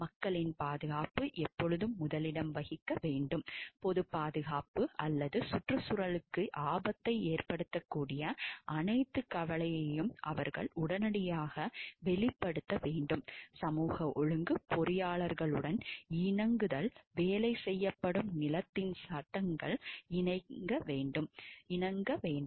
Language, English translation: Tamil, Safety of the people must always come first, they should promptly disclose all concern the factor that might endanger the public safety or the environment, compliance with social order engineers shall abide by the laws of the land in which the work is performed